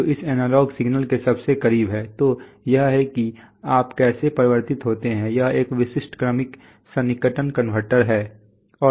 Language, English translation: Hindi, Which is closest to this analog signal right, so this is how you convert, this is how a typical successive approximation converter is and